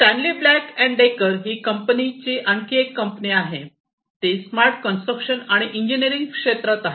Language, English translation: Marathi, Another company it the Stanley Black and Decker company, it is in the smart construction and engineering sector